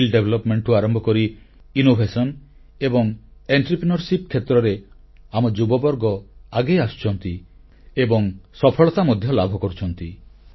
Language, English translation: Odia, Our youth are coming forward in areas like skill development, innovation and entrepreneurship and are achieving success